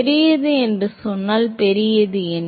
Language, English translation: Tamil, When you say large what you mean large